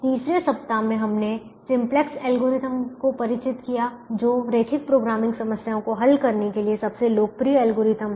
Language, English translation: Hindi, third week we introduced with simplex algorithm, which is the most popular algorithm to solve linear programming problems